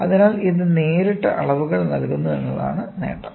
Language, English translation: Malayalam, So, the advantage is it directly gives the measurement